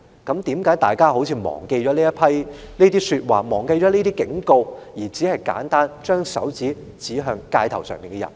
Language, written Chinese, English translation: Cantonese, 為何大家好像忘記了這些說話和警告，只是簡單地把手指指向街頭的人？, How come we have seemingly forgotten these comments and warnings and put an accusing finger to the people in the street simply?